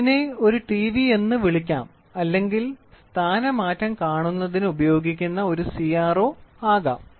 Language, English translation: Malayalam, So, this is a; it can be called as a TV or it can be a CRO which is used to see the displacement